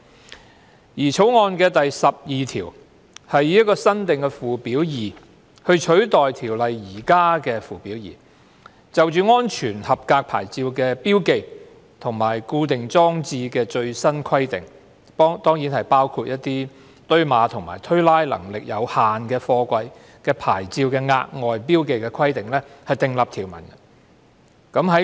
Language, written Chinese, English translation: Cantonese, 《條例草案》第12條以新訂附表 2， 取代《條例》現有附表 2， 就安全合格牌照的標記和固定裝設的最新規定，包括就堆碼和推拉能力有限的貨櫃的牌照的額外標記規定訂立條文。, Clause 12 of the Bill replaces the existing Schedule 2 to the Ordinance with a new Schedule 2 to provide for the latest requirements for the marking and fixing of safety approval plates including the additional marking requirements for plates of containers with limited stacking or racking capacity